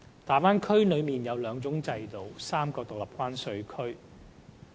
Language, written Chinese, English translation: Cantonese, 大灣區內有兩種制度和3個獨立關稅區。, There are two systems and three separate customs territories in the Bay Area